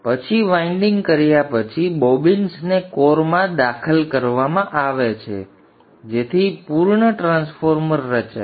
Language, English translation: Gujarati, So then after winding the bobbins are inserted into the core to form a completed transformer